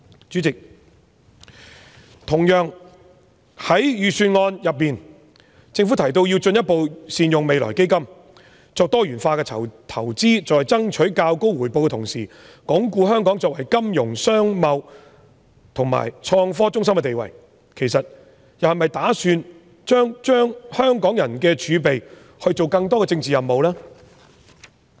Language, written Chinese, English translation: Cantonese, 主席，同樣地，政府在預算案中提到要"進一步善用未來基金"、作"多元化投資"、"在爭取較高回報的同時，鞏固香港作為金融、商貿和創科中心的地位"，其實是否又打算把香港人的儲備用作推行更多政治任務呢？, President similarly the Budget mentions that the Government will further optimise the use of the [Future] Fund achieve more diversified investments and enhance return while also consolidating Hong Kongs status as a financial commercial and innovation centre . In fact does the Government intend to carry out more political missions with the reserves of Hong Kong people?